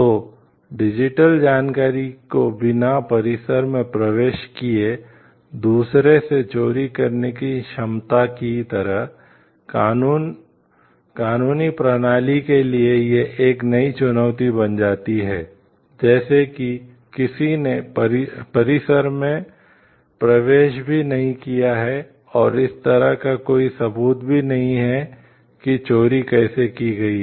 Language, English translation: Hindi, So, like the ability to steal the digital information, without entering the premises from our distance process like a new challenge for the legal system like, if somebody has not entered the premises and there is no proof like how that stealing has been done